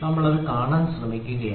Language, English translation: Malayalam, So, we are trying to see this